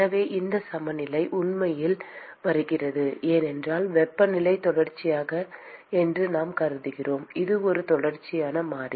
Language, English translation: Tamil, So, this balance really comes about because we assume that the temperature is continuous it is a continuous variable